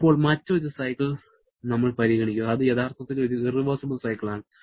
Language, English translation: Malayalam, Now, we consider another cycle which is actually an irreversible cycle